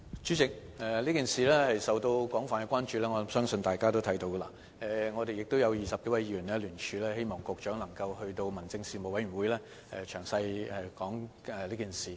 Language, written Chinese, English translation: Cantonese, 主席，我相信大家都看到，此事已受到廣泛的關注，而20多位議員亦已聯署，希望局長能夠在民政事務委員會上詳細交代此事。, President I think Members are aware that the issue has attracted widespread concern and some 20 - odd Members have signed a joint submission to request the Secretary to give a detailed account of the matter at the Panel on Home Affairs